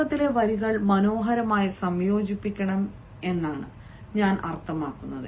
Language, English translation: Malayalam, i mean, the beginning lines have to be really beautifully combined